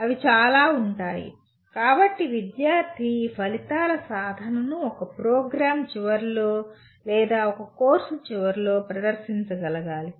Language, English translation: Telugu, So you should be, the student should be able to demonstrate their attainment of these outcomes either at the end of a program or a course